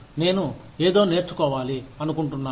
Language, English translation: Telugu, You want to learn something